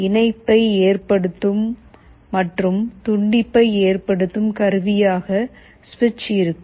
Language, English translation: Tamil, The switch will be connecting and disconnecting like that